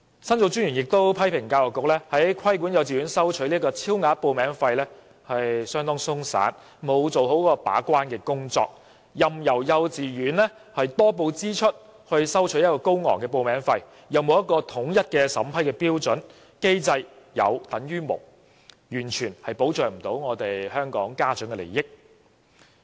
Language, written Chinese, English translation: Cantonese, 申訴專員公署亦批評教育局規管幼稚園收取超額報名費的工作相當鬆散，沒有做好把關，任由幼稚園多報支出以收取高昂的報名費，又沒有統一的審批標準，機制變成有等於無，完全不能保障家長的利益。, The Office also criticized that the Education Bureaus regulation of the collection of above - the - ceiling application fees by kindergartens is very lax and the Bureau has failed in its duty as a gatekeeper as kindergartens are allowed to charge high application fees by exaggerating their expenses and consistent criteria for vetting and approving such fees are lacking . In other words the Bureaus mechanism exists only in name and there is absolutely no protection for the parents interests